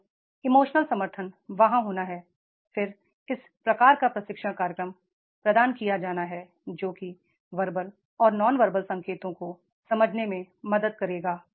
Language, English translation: Hindi, So, emotional support is to be there, then this type of the training program is to be provided that will make to understand the verbal and non verbal cues are there